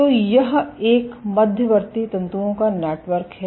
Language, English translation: Hindi, So, this is a network of intermediate filaments